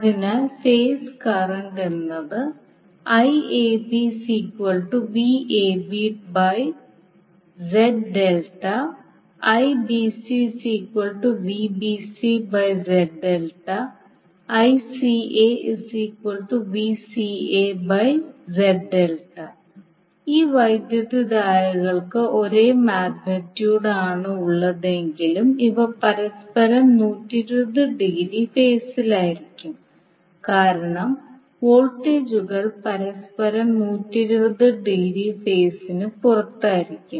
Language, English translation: Malayalam, So now here you can say that these currents have the same magnitude but these will be out of phase with each other by 120 degree because these voltages are out of phase with each other by 120 degree